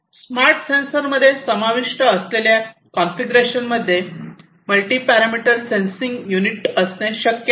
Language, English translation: Marathi, So, the configurations that are involved in the smart sensors are it is possible to have a multi parameter sensing unit